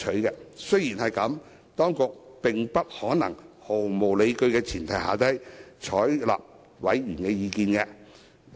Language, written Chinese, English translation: Cantonese, 儘管如此，當局並不可能連毫無理據的委員意見也一併採納。, Nevertheless it is impossible for the authorities to adopt those completely unfounded views of members as well